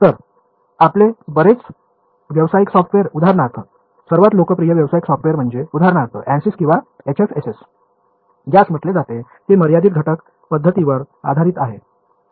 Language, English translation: Marathi, So, your a lot of your commercial software for example, the most popular commercial software is for example, ANSYS or HFSS which is called it is based on the finite element method